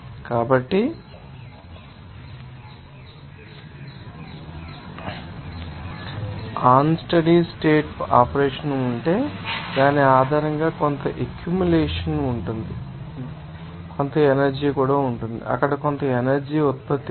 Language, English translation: Telugu, So, if there is unsteady state operation, so, based on which you can see that there will be some accumulation there will be some energy there will be some output of energy